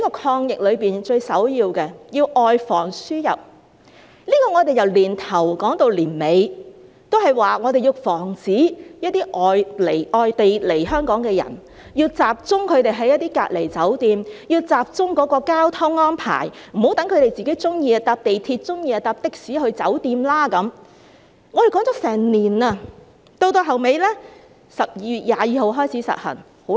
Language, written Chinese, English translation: Cantonese, 抗疫中最首要的是外防輸入，我們由年初說到年底，都在說要防止一些外地來香港的人會輸入感染個案，要集中他們在隔離酒店，要集中交通安排，不要讓他們喜歡便乘坐港鐵，喜歡便乘坐的士去酒店，我們提出了一整年，最後在12月22日開始實行。, In fighting the virus the first priority is to prevent imported cases . From the beginning till the end of the year we have been asking to prevent infected cases from being imported to Hong Kong by people coming from overseas who should stay in designated quarantine hotels . There should also be special transportation arrangements to prevent them from taking other means of transport like MTR or taxis of their preference to the hotels